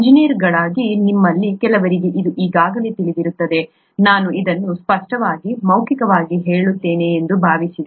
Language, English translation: Kannada, As engineers, some of you would know this already I just thought I will verbalise this clearly